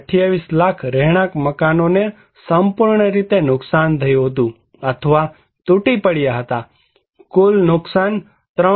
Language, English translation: Gujarati, 28 lakh residential buildings were fully damaged or collapsed, total damage was 3